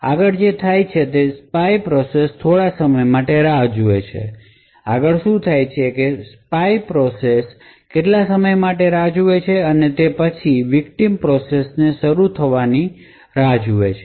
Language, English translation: Gujarati, Next what happens is that the spy process waits for some time, the next what happens is that the spy process waits for some time and is essentially waiting for the victim process to begin execution